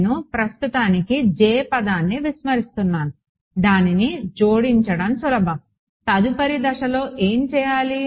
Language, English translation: Telugu, Next step so, I am ignoring the J term for now, it is easy to add it in next step would be to take